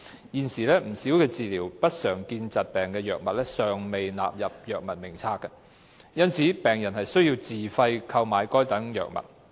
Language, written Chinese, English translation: Cantonese, 現時有不少治療不常見疾病的藥物尚未納入藥物名冊，因此病人需自費購買該等藥物。, At present as quite a number of drugs for treatment of uncommon disorders have not been included in the Drug Formulary patients have to purchase those drugs at their own expenses